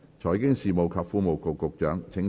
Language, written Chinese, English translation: Cantonese, 財經事務及庫務局局長，請動議你的修正案。, Secretary for Financial Services and the Treasury you may move your amendments